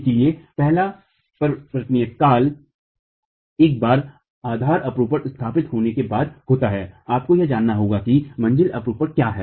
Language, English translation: Hindi, So the first transition is once the base share is established, you need to know what the story shear is